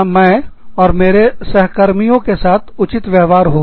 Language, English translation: Hindi, Where, my colleagues and i, are being treated fairly